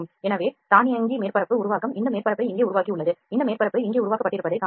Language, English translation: Tamil, So, automatic surface generation has generated this surface here you can see this surface has generated here